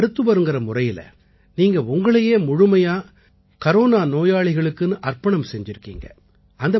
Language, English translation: Tamil, As a doctor, you have dedicated yourself completely in the service of patients